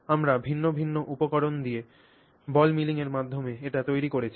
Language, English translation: Bengali, So, this is what we have accomplished by doing ball milling with dissimilar materials